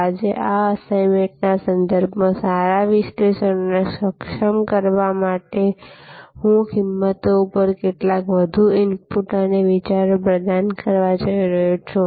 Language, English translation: Gujarati, Today, to enable a good analysis with respect to this assignment, I am going to provide some more inputs and thoughts on pricing